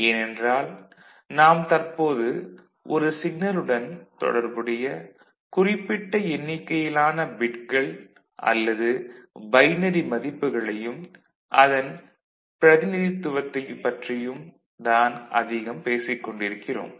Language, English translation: Tamil, So, we are talking about certain number of bits or binary values that will be associated with a particular signal and it is representation